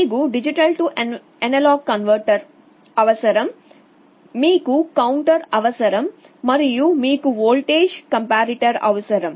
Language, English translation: Telugu, You need a D/A converter, you need a counter, and you need a voltage comparator